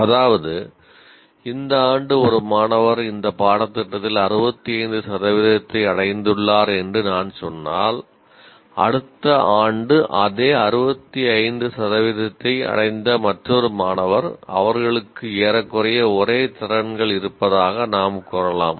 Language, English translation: Tamil, That means if I say this year a student has achieved 65% in this course, another student who achieved the same 65% next year, we can say they are approximately same abilities